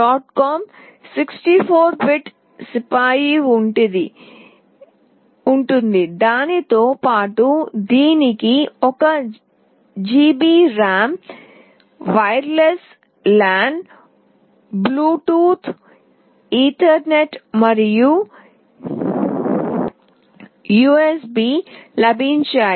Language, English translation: Telugu, 2 GHz Broadcom 64 bit CPU, along with that it has got 1 GB of RAM, wireless LAN, Bluetooth, Ethernet and USB